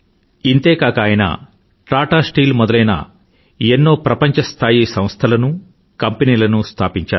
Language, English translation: Telugu, Not just that, he also established world renowned institutions and industries such as Tata Steel